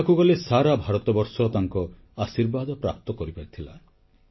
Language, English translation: Odia, In a way, entire India received his blessings